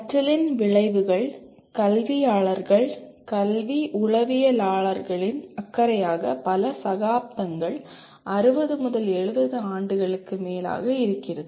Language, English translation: Tamil, Because outcomes of learning has been the concern of educationists, education psychologists and so many people for several decades, maybe more than 60 70 years